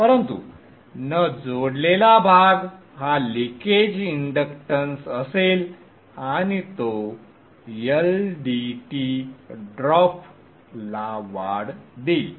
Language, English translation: Marathi, But the uncoupled part there will be some leakage inductance and that will give rise to an LDI by DT drop